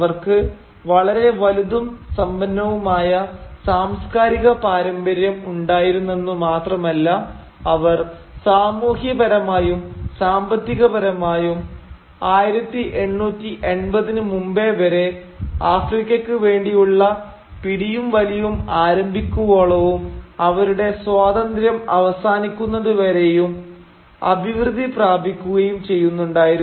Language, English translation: Malayalam, Not only did they have a very long and rich cultural tradition, they were also thriving economically and socially till before 1880’s, when the Scramble for Africa began and when their independence ended